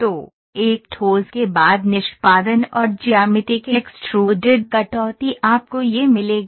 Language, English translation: Hindi, So, a solid after execution and extruded cut of the geometry you will get this